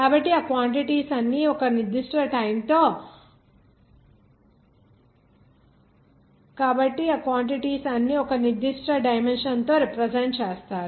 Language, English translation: Telugu, So all those quantities represented by a certain dimension